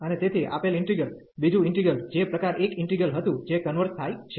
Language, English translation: Gujarati, And hence the given integral the second integral, which was the type 1 integral that also converges